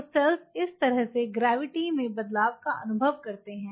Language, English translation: Hindi, So, the cells experience changes in the gravity like this